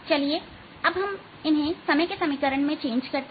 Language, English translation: Hindi, lets convert them into the time equation